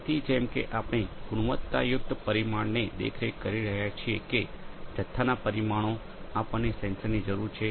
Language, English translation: Gujarati, So, like whether we are monitoring a quality parameter or a quantity parameter all we need a sensor